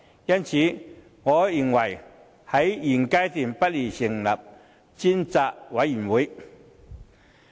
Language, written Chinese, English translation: Cantonese, 因此，我認為現階段不宜成立專責委員會。, Therefore I consider inappropriate to set up a select committee at this stage